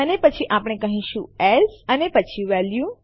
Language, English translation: Gujarati, numbers And then we say as and then we say value